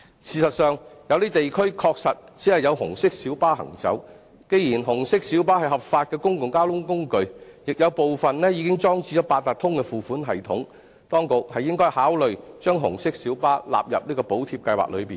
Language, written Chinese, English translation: Cantonese, 事實上，有些地區確實只有紅色小巴行走，既然紅色小巴是合法的公共交通工具，亦有部分已經裝置八達通付款系統，當局應該考慮將紅色小巴納入補貼計劃內。, In fact certain areas are only served by red minibuses . Since red minibuses are a legal mode of public transport while some of them have already installed the Octopus card payment device the authorities should consider extending the Subsidy Scheme to red minibuses